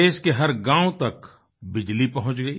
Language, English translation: Hindi, Electricity reached each & every village of the country this year